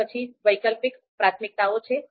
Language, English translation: Gujarati, Then alternative priorities is there